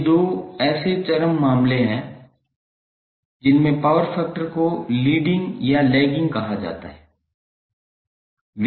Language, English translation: Hindi, So these are the 2 extreme cases in which power factor is said to be either leading or lagging